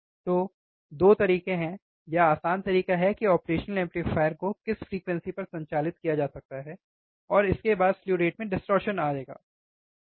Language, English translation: Hindi, So, there is a 2 way or easier way to understand at what frequency operational amplifier can be operated, and frequency well this slew rate will be distorted, right